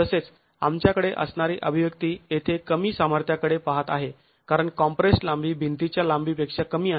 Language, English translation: Marathi, Similarly the expression that we have here is looking at a reduced strength because of the compressed length being lesser than the overall length of the wall itself